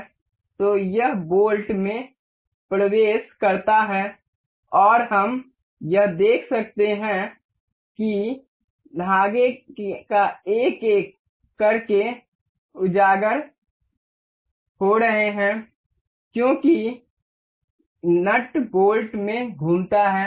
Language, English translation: Hindi, So, now, it enters the bolt and we can see this see the threads uncovering one by one as the nut revolves into the bolt